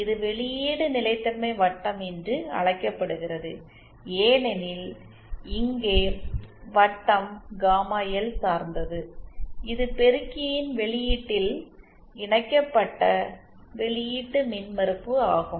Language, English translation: Tamil, It is called output stability circle because here the circle is dependent on gamma L which is the output impedance connected to the output of the amplifier